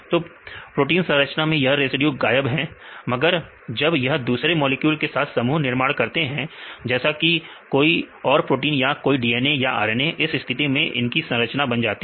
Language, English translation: Hindi, So, they are missing in the protein site, but when it makes a complex with other molecules like other proteins or the DNA or the RNA in this case they get the structure